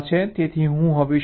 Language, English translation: Gujarati, so what i do now